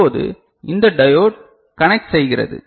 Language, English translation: Tamil, Now, this diode conducts